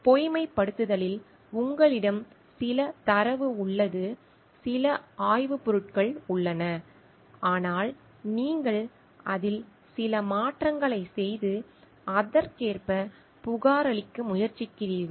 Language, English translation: Tamil, In falsification, you have some data, you have some research materials, but you are trying to make some changes in that and report accordingly